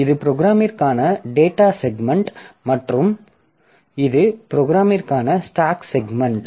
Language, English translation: Tamil, So, this is the data segment for the program and this is the stack segment for the program